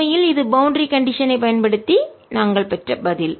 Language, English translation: Tamil, indeed, the answer we had obtained using the boundary condition